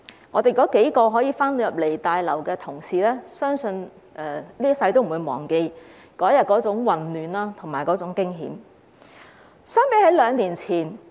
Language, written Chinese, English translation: Cantonese, 我們數名可以回來大樓的同事，相信這輩子也不會忘記當天的混亂和驚險。, The few of us who were able to return to the Complex will I believe never forget the chaos and danger of that day